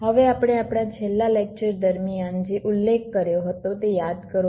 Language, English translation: Gujarati, now recall what we mentioned during our last lecture